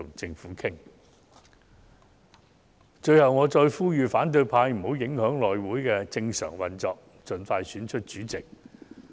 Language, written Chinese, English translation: Cantonese, 最後，我再次呼籲反對派不要影響內務委員會的正常運作，盡快選出主席。, Finally I must urge the opposition camp again to stop obstructing the normal operation of the House Committee so that the Chairman can be elected as soon as possible